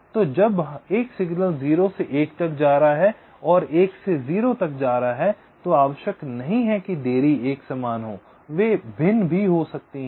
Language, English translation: Hindi, so the delays when a signal is going from zero to one and going from one to zero may need not necessary be equal, they can be different also